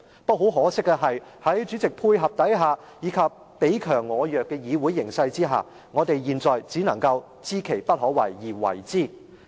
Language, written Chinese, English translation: Cantonese, 不過，很可惜，在主席配合下，以及彼強我弱的議會形勢下，我們現在只能夠知其不可為而為之。, But regrettably with the cooperation of the President and in the prevailing situation in the legislature where we are weak and they are strong we can only persevere with the impossible